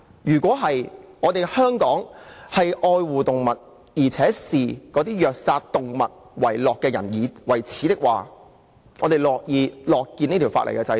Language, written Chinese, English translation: Cantonese, 如果香港愛護動物，而且視虐殺動物的人為耻，我們是會樂見這項法例的制定。, If we think Hong Kong should love its animals and people who torture and kill animals are a disgrace to us we will be happy to see the enactment of the legislation concerned